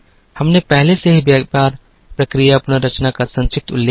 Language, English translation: Hindi, We already made a brief mention of business process reengineering